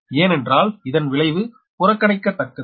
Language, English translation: Tamil, that's why its effect is negligible